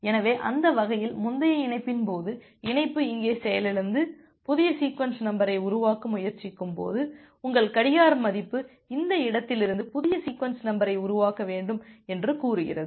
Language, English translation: Tamil, So, that way, you are ensuring that well in case of a previous connection, when the connection got crashed here and you are trying to generate a new sequence number, your clock value says that you should generate the new sequence number from this point